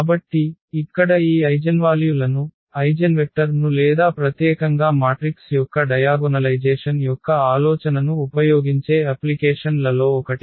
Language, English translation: Telugu, So, here was the one of the applications where we use this eigenvalues, eigenvectors or in particular this idea of the diagonalization of the matrix